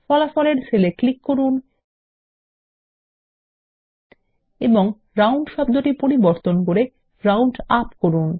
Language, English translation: Bengali, Lets click on the cell with the result and edit the term ROUND to ROUNDUP